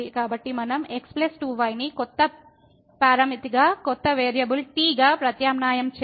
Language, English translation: Telugu, So, if we substitute plus 2 as a new parameter, as a new variable